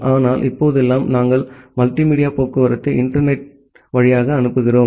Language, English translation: Tamil, But nowadays, we are transmitting multimedia traffic over the internet